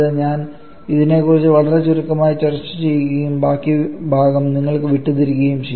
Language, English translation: Malayalam, I shall be discussing this one only very briefly and leaving the rest part of rest part to you